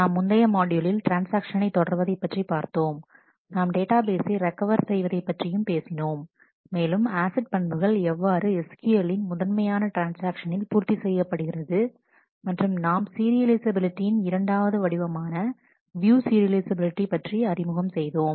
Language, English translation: Tamil, So, in the last module we have talked about continuing on the transactions, we had talked about recoverability of databases, how to satisfy the acid properties the basic transaction in SQL and we have introduced a second form of serializability in terms of the view serializability